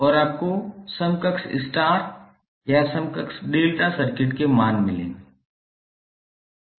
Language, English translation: Hindi, And you will get the values of equivalent star or equivalent delta circuit for the system